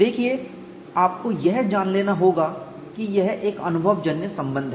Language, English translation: Hindi, See, you have to take it that this is an empirical relation